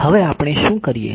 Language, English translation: Gujarati, What do we do now is